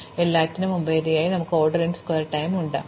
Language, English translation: Malayalam, So, over all we have order n square time